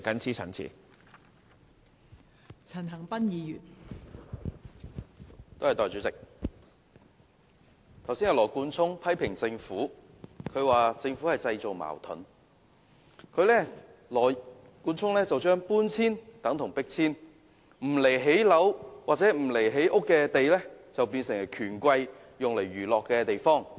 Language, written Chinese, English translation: Cantonese, 代理主席，羅冠聰議員剛才批評政府製造矛盾，他將搬遷說成是迫遷，將並非用作興建房屋的土地說成是不顧基層權益的權貴用來娛樂的地方。, Deputy President just now Mr Nathan LAW criticized the Government for stirring up conflicts . He described relocation as eviction and said that sites not used for housing construction are used as entertainment playground for the rich and powerful without giving regard to the interests of the grass roots